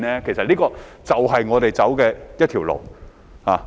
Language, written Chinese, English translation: Cantonese, 其實，這便是我們要走的一條路。, In fact this is exactly the path we have to take